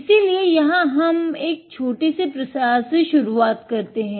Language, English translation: Hindi, So, here we will start with a small spreading